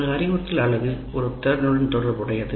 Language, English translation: Tamil, And one instructional unit is associated with one competency